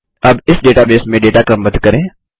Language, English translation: Hindi, Now lets sort the data in this database